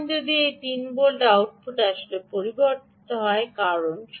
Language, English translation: Bengali, now if this three volt output actually ah, ah is changed because of the